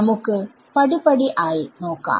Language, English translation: Malayalam, Let us go step by step